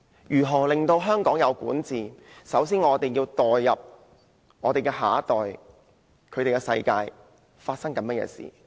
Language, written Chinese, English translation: Cantonese, 如何令香港有善治，首先就要代入下一代，了解他們的世界正在發生甚麼事情。, How to deliver good governance in Hong Kong? . First we have to step into the shoes of the next generation and understand what is happening in their world